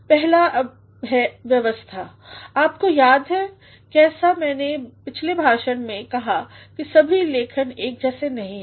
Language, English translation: Hindi, The first is organization you remember as I said in the previous lecture, that all writings are not alike